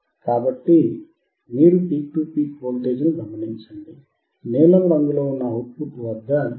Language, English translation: Telugu, So, you observe the peak to peak voltage, at the output which is in blue colour which is 3